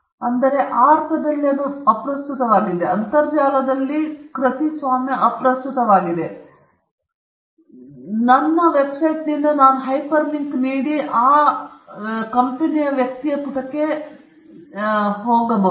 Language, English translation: Kannada, So, in that sense it is irrelevant; copyright is irrelevant on the internet, because I could give a an hyper link from my website and take to that person’s page